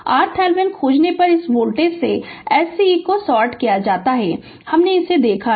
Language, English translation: Hindi, When you find the R Thevenin, this voltage source is sorted, we have seen this right